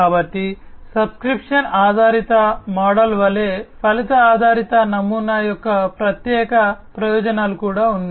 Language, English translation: Telugu, So, like the subscription based model, there are separate distinct advantages of the outcome based model as well